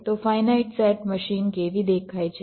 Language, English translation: Gujarati, so how does a finite set machine look like